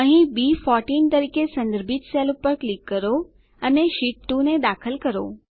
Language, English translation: Gujarati, Here lets click on the cell referenced as B14 and enter Sheet 2